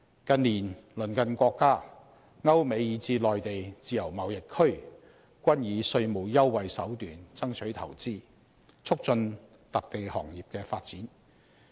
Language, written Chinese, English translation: Cantonese, 近年，鄰近國家、歐美以至內地自由貿易區均以稅務優惠手段爭取投資，促進特定行業的發展。, In recent years our neighbouring countries European and American countries or even the Mainlands free trade zones have been using taxation concessions as a means to secure more investment and promote the development of specific industries